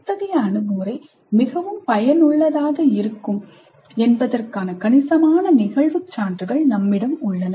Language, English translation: Tamil, What we have is considerable anecdotal evidence that such an approach is quite effective